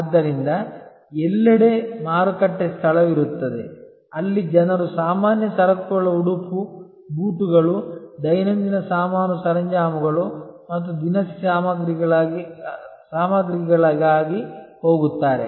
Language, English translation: Kannada, So, everywhere there will be a market place, where people will go for general merchandise apparel, shoes, daily ware stuff and often also for groceries